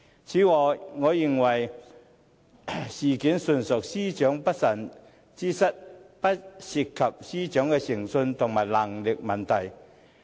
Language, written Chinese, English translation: Cantonese, 此外，我認為事件純屬司長的不慎之失，不涉及司長的誠信和能力問題。, In addition I think the incident is purely attributed to the inadvertent mistakes of the Secretary for Justice having nothing to do with her integrity or capability